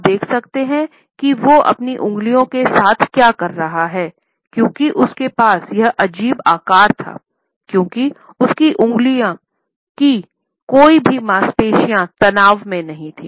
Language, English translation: Hindi, You see what is going on with his fingers he had this weird shape going on because there is not any really muscular tension going on in his finger